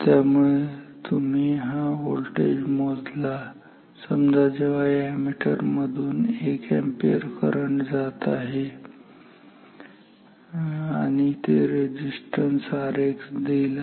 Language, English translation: Marathi, So, you measure this voltage for say 1 ampere current through this ammeter and that will give this resistance R X ok